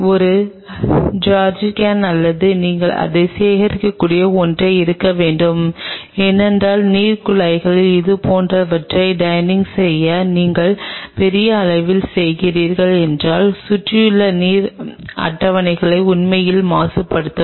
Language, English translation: Tamil, There has to be a jerrycan or something where you can collect it because draining such things in the water pipe can really pollute the surrounding water table if you are doing it in large scale